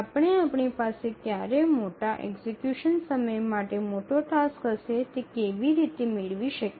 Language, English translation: Gujarati, So, how do we get about when we have a large task with large execution time